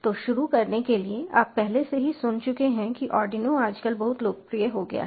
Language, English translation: Hindi, so, to start of with, as you already have heard, arduino has become very popular now a days